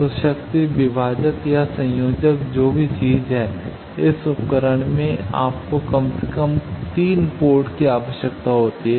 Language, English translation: Hindi, So, Power Divider or Combiner whatever the thing the point is you require at least 3 port in this device